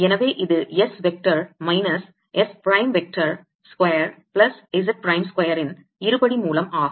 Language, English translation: Tamil, so this is going to be square root of s vector minus s prime vector, square plus z prime square